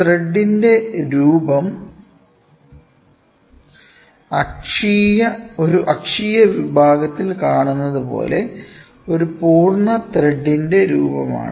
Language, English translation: Malayalam, Form of thread it is the shape of the contour of one complete thread, as seen in an axial section